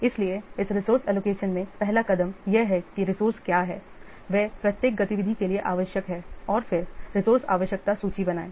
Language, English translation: Hindi, So, first step in this resource allocation is identify what are the resources they are needed for each activity and then create a resource requirement list